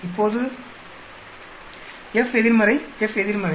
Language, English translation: Tamil, Now F inverse is also there, F inverse